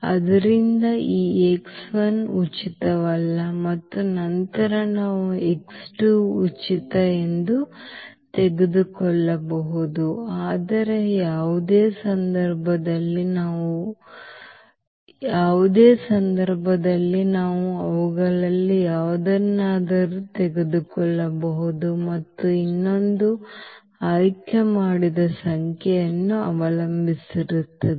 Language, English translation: Kannada, So, this x 1 is not free and then we can take as x 2 free, but any case in any case we can take any one of them and the other one will depend on the given chosen number